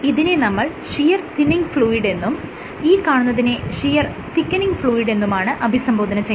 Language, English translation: Malayalam, So, this is called a shear thinning fluid, this is called a shear thickening fluid